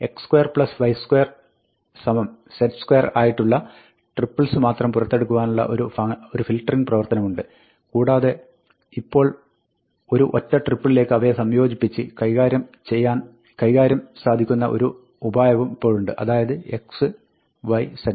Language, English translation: Malayalam, There is a filtering process by which you only pull out those triples, where x square plus y square is z square; and then, there is a manipulating step, where you combine them into a single triple, x comma y comma z